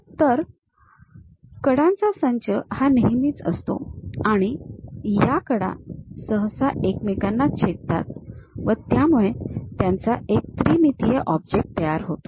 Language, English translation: Marathi, So, set of edges always be there and these edges usually intersect with each other to make it a three dimensional object